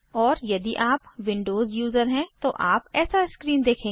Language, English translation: Hindi, And If you are a Windows user, you will see this screen